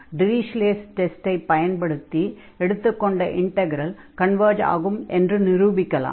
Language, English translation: Tamil, So, in this case we can apply now Dirichlet results Dirichlet test, which says that this integral converges